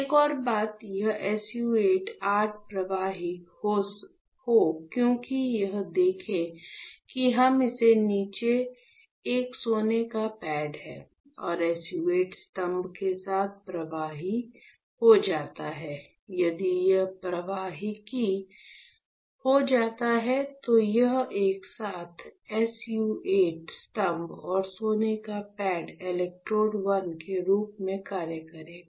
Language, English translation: Hindi, Another point is, I want this SU 8 pillar to be conductive; why, because you see here, if I have gold pad below it right and with the SU 8 pillar becomes conductive, if it becomes conductive, then this together SU 8 pillar and gold pad will act as electrode 1